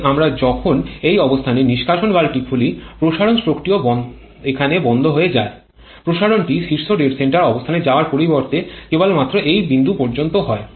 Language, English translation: Bengali, But as we are opening the exhaust valve this position so the expansion stroke also stops here expansion is spend only up to this point instead of till the top dead center location